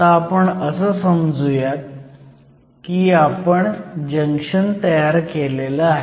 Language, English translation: Marathi, Right now, we just say that we formed the junction